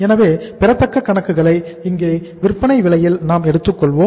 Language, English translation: Tamil, Now when you calculate the accounts receivable we will be taking here at the selling price